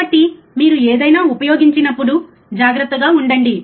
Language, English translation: Telugu, So, be cautious when you use anything, right